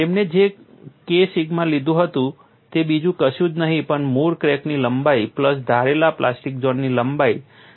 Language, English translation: Gujarati, The K sigma what you have taken is nothing but the original crack length a plus the assumed plastic zone length delta